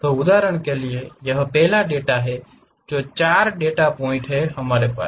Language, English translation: Hindi, For example, this is the first data these are the 4 data points, we have